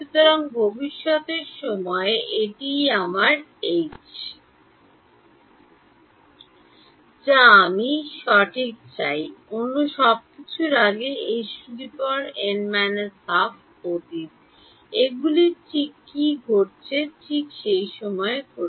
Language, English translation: Bengali, So, this is my H at future time that I want right, everything else is past H n minus half is past these are all happening at what n right correct